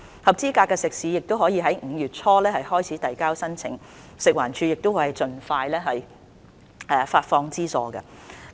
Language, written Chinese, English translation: Cantonese, 合資格的食肆可在5月初開始遞交申請，食物環境衞生署會盡快發放資助。, Eligible catering outlets can file their applications starting from early May and the Food and Environmental Hygiene Department will disburse the subsidies to them as soon as possible